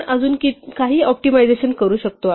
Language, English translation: Marathi, We can still do some further optimizations